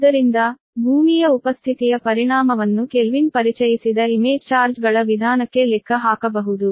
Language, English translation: Kannada, so the effect of presence of earth can be your, accounted for the method of image charges introduced by kelvin, right